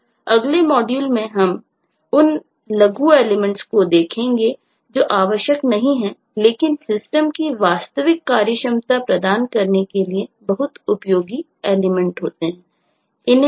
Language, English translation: Hindi, now in the next module we will take up the minor elements which are not essential but often turn out to be very useful elements to provide the actual related functionality of the system